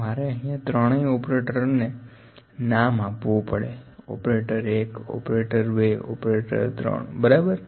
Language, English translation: Gujarati, So, I have to name the three operators operator 1, operator 2, operator 3, ok